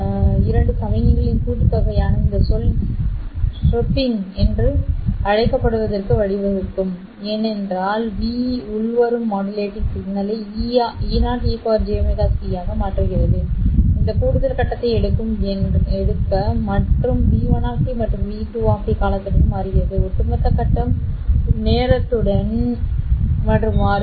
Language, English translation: Tamil, This term which is sum of the two signals, pi divided by 2 v pi, can lead to what is called as chirping because v is changing the incoming modulating signal which is say E0 e par j omega s t, sorry, incoming carrier e par j omega s t will pick up this additional phase and if v1 of T and V2 of T are changing with time then the overall phase will change with time